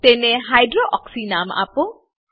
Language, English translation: Gujarati, Name it as Hydroxy